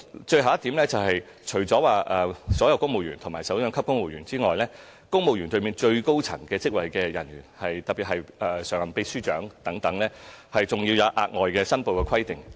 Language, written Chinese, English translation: Cantonese, 最後，除所有首長級公務員外，對於公務員隊伍最高職位的人員，特別是常任秘書長等，我們更設有額外申報規定。, Finally apart from all directorate civil servants top civil servants such as Permanent Secretaries are also subject to extra declaration requirements